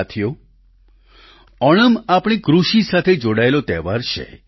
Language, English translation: Gujarati, Friends, Onam is a festival linked with our agriculture